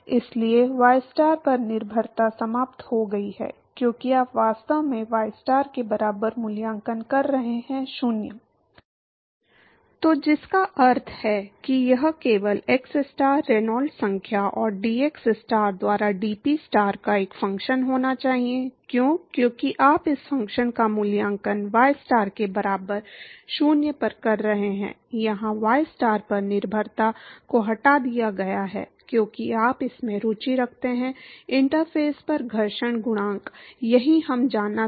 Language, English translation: Hindi, So, which means that this should only be a function of xstar, Reynolds number and dPstar by dxstar, why, because you are evaluating this function at ystar equal to 0, here removing the dependence on y star, because you are interested in the friction coefficient at the interface, that is what we want to know